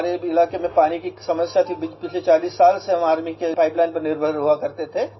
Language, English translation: Hindi, We had a problem of water scarcity in our area and we used to depend on an army pipeline for the last forty years